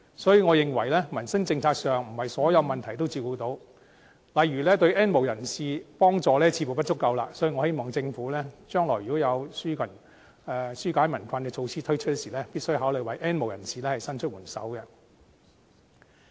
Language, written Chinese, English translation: Cantonese, 當然，我認為在民生政策上，並非所有問題也照顧得到，例如對 "N 無人士"的幫助似乎不足，所以我希望政府將來推出紓解民困的措施時，必須考慮為 "N 無人士"伸出援手。, Of course I think that in terms of livelihood policies not all the issues can be addressed and the insufficient help to the N have - nots is an example . I thus hope that the Government can lend a helping hand to the N have - nots when putting forward any relief measures in the future